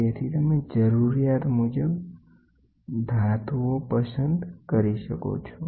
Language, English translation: Gujarati, So, you can choose metals to the requirement